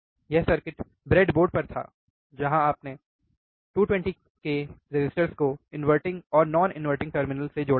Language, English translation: Hindi, This circuit was there on the breadboard, where you have seen 220 k resistors connected to the inverting and non inverting terminal